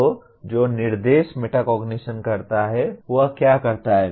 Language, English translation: Hindi, So what does instruction metacognition, what does it do